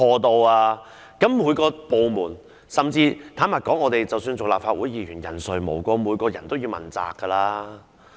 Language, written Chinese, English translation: Cantonese, 坦白說，各個部門甚至是立法會議員，人誰無過，人人也要問責。, Frankly it is only natural for various departments or even Members of the Legislative Council to err and everyone has to be held accountable